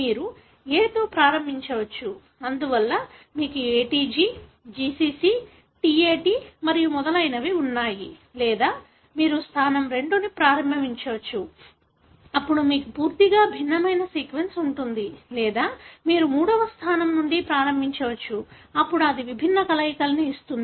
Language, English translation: Telugu, You can start with A; therefore you have ATG, GCC, TAT and so on, or you can start position 2, then you have altogether different sequence or you can start from the third position, then it gives different combinations